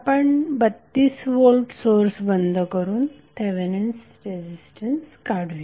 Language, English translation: Marathi, We find the Thevenin resistance by turning off the 32 volt source